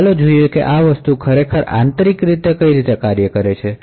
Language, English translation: Gujarati, So, let us see how these things actually work internally